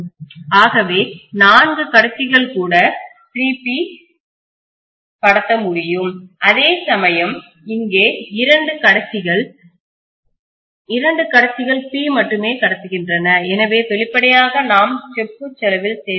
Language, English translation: Tamil, So even then four conductors are able to transmit 3 P whereas here two conductors, two conductors are transmitting only P, so obviously we are saving on the cost of copper